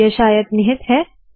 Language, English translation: Hindi, It is perhaps implicit